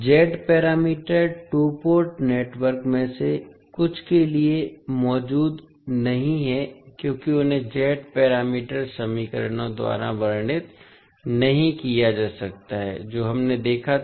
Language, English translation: Hindi, The Z parameters does not exist for some of the two port networks because they cannot be described by the Z parameter equations which we saw